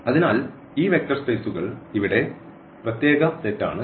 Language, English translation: Malayalam, So, here this vector spaces they are the special set here